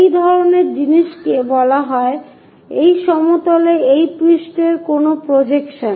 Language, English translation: Bengali, This kind of thing is called what projection of this surface on to that plane